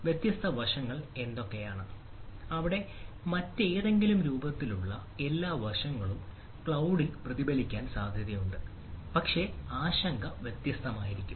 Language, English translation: Malayalam, ah, it is likely that all those aspect in some form of other will be also reflected in the cloud, but the concern may be different